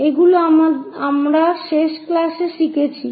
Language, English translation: Bengali, These are the things what we have learned in the last class